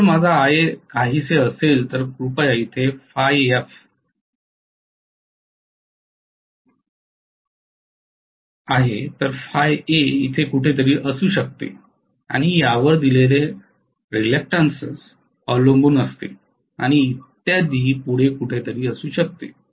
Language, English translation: Marathi, So if my Ia is somewhat like this then please note phi f is here, phi a may be somewhere here depending upon what is the reluctance offered and so on and so forth